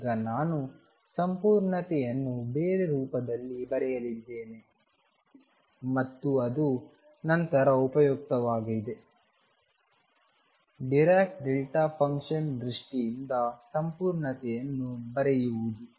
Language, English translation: Kannada, Now, I am going to write completeness in a different form and that is useful later, writing completeness in terms of dirac delta function